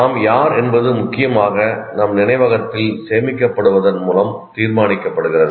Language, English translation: Tamil, Who we are is essentially decided by what is stored in our memory